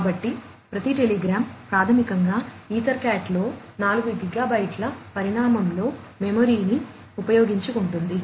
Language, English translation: Telugu, So, every telegram basically utilizes the memory up to 4 gigabytes in size in EtherCat